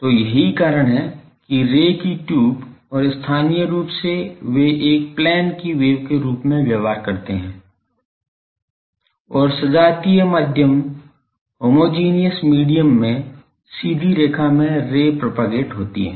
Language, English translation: Hindi, So, that is why tube of ray and locally they behave as a plane wave and propagation straight line along state rays in homogeneous medium